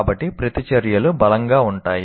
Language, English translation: Telugu, So the reactions can be fairly strong